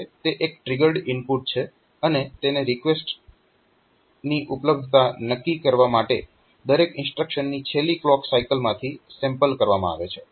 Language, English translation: Gujarati, So, this is a triggered input and it is sampled from the last clock cycles of each instruction to determine the availability of the request